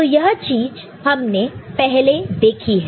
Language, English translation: Hindi, So, we have seen this before, right